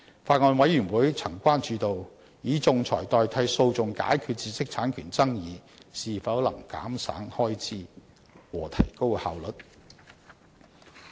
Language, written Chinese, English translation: Cantonese, 法案委員會曾關注到，以仲裁代替訴訟解決知識產權爭議，是否能減省開支和提高效率。, The Bills Committee is concerned about the amount of time and cost saved in using arbitration instead of litigation to resolve IPR disputes